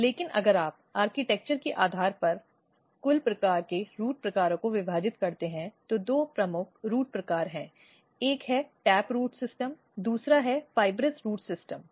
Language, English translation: Hindi, But if you divide the total kind of root types based on the architecture, there are two major root types one is the tap root system another is fibrous root system